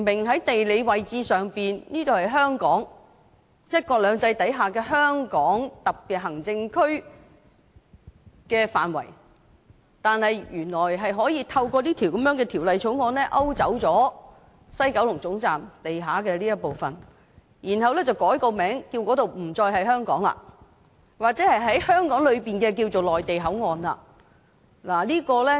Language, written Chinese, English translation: Cantonese, 在地理位置上明顯地這裏是香港、在"一國兩制"下香港特別行政區的範圍，但原來是可以透過《條例草案》勾走西九龍總站地下的這一部分，然後改名為內地口岸區，不再是香港的一部分了，或者可說是香港裏的內地口岸。, In terms of geographical location they are obviously located within Hong Kong or the bounds of the SAR under one country two systems but it turns out that this part under the ground of the West Kowloon Terminus can be sliced off by dint of the Bill then has its name changed to MPA and it is no longer a part of Hong Kong or it can be called MPA within Hong Kong